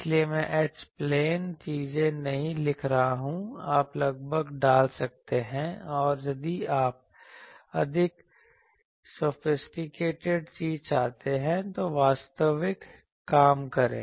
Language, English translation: Hindi, So, I am not writing H plane things, you can approximately you can put a and if you want more sophisticated thing, do the actual thing